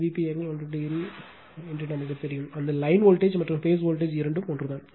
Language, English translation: Tamil, So, V ab you know V p angle 0, V bc V p angle minus 120 degree and V ca V p angle 120 degree, that line voltage and phase voltage both are same